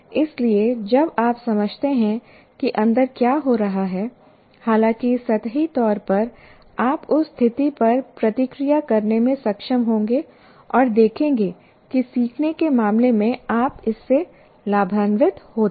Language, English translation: Hindi, So when you understand what is happening inside, however superficially, you will be able to react to that situation and see that you benefit from that in terms of learning